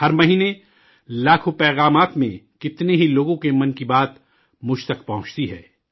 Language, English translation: Urdu, Every month, in millions of messages, the 'Mann Ki Baat' of lots of people reaches out to me